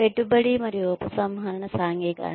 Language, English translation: Telugu, Investiture versus divestiture socialization